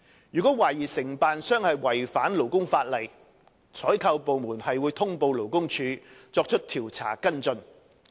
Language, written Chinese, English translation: Cantonese, 如懷疑承辦商違反勞工法例，採購部門會通報勞工處以作出調查跟進。, If it is suspected that a contractor has contravened labour legislation the procuring department will notify LD for carrying out investigation and follow - up work